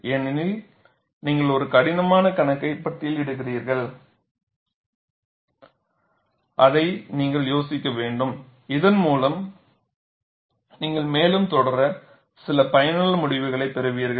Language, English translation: Tamil, See, you are charting a difficult problem and you have to idealize it, so that you get some useful result for you to proceed further